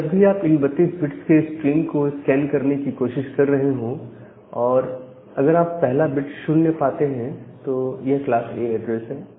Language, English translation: Hindi, So, whenever you are trying to scan these 32 bits of bit stream, if you find out that the first bit is 0 that means, it is a class A address